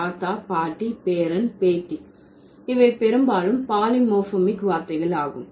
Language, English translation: Tamil, Grandfather, grandmother, grandson and granddaughter, these are mostly polymorphic words